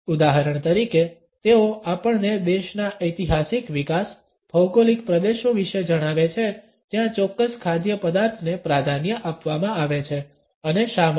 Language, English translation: Gujarati, For example, they can tell us about the historical development of a country, the geographical regions where a particular food item is preferred and why